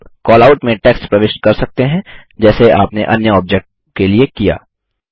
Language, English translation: Hindi, You can enter text inside the Callout just as you did for the other objects